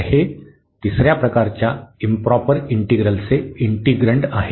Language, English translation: Marathi, So, this is the integrand of improper integral of third kind